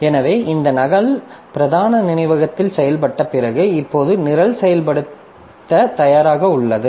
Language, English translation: Tamil, So, after this copy has been done into the main memory, now the program is ready for execution